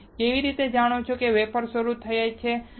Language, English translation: Gujarati, How you know wafer start